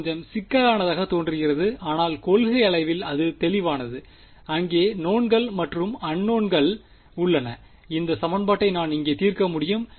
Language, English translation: Tamil, It looks a little complicated, but in principle its clear there are knowns and there are unknowns I can solve this equation over here ok